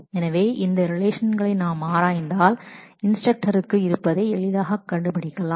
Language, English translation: Tamil, So, if we look into these relations then we can easily figure out that instructor has the department name attribute